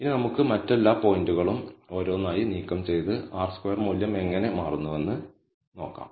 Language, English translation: Malayalam, Now, let us remove all the other points one by one and let us see how the R squared value changes